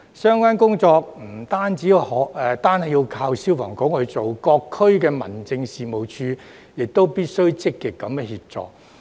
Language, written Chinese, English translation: Cantonese, 相關工作不僅靠消防處進行，各區民政事務處亦必須積極協助。, Not only should FSD conduct the relevant work but all District Offices must provide active assistance